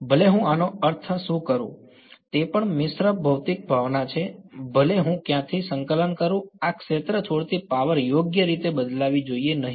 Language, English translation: Gujarati, No matter where what I mean this is also mixed physical sense no matter where I integrate from, the power leaving this sphere should not change right